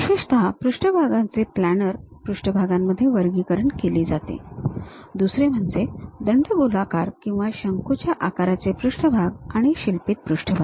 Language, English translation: Marathi, Especially, surfaces are categorized into planar surfaces, other one is cylindrical or conical surfaces and sculptured surfaces we call